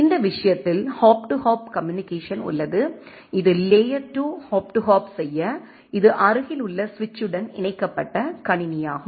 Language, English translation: Tamil, Where as in this case we have a hop to hop communication right that in layer 2 hop to hop this is system connected to a to a nearby switch